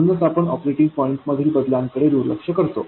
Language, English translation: Marathi, So we ignore the changes in operating point because of this